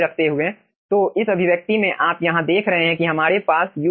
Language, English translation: Hindi, so in this expression you see, here you are having ul